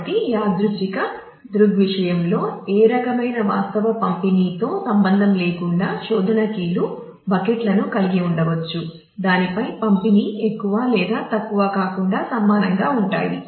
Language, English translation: Telugu, So, that in a random phenomena; so, that irrespective of what kind of actual distribution the search keys may have the buckets over which the distribute will be more or less the same